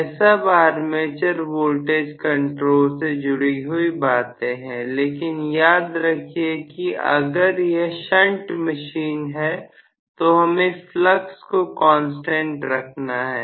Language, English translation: Hindi, So much so far, armature voltage control, but please remember if it is shunt machine, we want to keep the flux as a constant